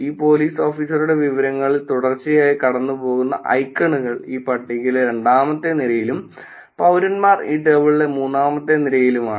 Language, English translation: Malayalam, The icons that will consistently go through this police is for one that on the second row in this table and citizens is for the third row on this table